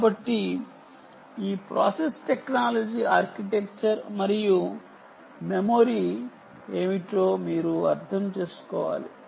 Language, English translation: Telugu, so you have to understand what this process technology is, the architecture is and memory is